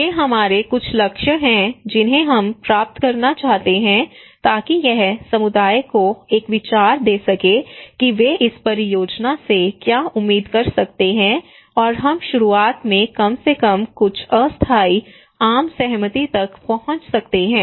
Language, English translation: Hindi, Okay these are some of our goal, and that we would like to achieve so this will give the community an idea that what they can expect from this project and we can reach to a consensus in the very beginning at least some tentative consensus that okay